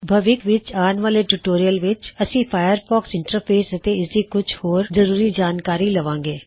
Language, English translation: Punjabi, In future tutorials, we will learn more about the Firefox interface and various other features